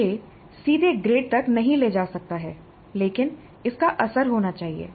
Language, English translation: Hindi, This may not directly lead to the grades but it must have a bearing